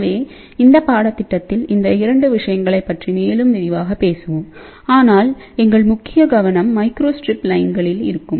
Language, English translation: Tamil, So, in this course we will talk more in more detail about these 2 things, but our main focus will be on microstrip lines